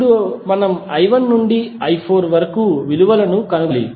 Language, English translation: Telugu, Now, we have to find the values from i 1 to i 4